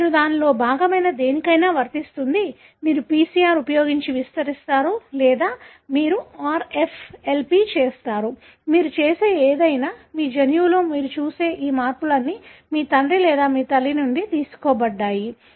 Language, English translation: Telugu, The same applies to anything that you are part of it, which you amplify using a PCR or you do a RFLP, anything that you do, all these changes that you see in your genome is derived from either your father or your mother